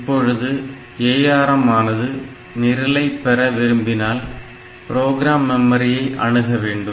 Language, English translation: Tamil, Now, what will happen is that when the ARM is asking for program so it will access the program memory